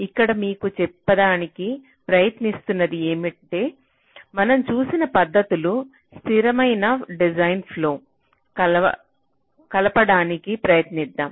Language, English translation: Telugu, ok, so here what we are trying to tell you is that whatever techniques we have looked at, let us try to combine it in a consistent design flow